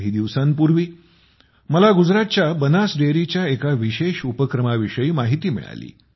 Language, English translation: Marathi, Just a few days ago, I came to know about an interesting initiative of Banas Dairy of Gujarat